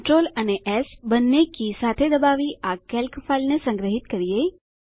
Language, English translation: Gujarati, Press CTRL and C keys together to copy the image